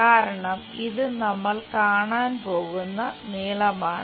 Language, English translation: Malayalam, Because, this is the length what we are going to see